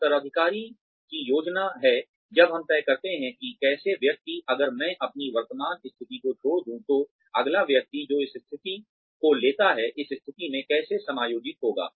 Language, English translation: Hindi, Succession planning is, when we decide, how the person, if I were to leave my current position, how would the next person, who comes and takes up this position, get adjusted to this position